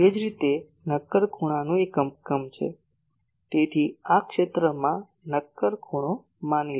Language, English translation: Gujarati, Similarly , the unit of solid angle is , so solid angle suppose